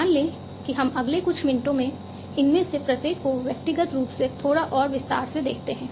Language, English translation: Hindi, Say let us look at each of these individually in little bit more detail in the next few minutes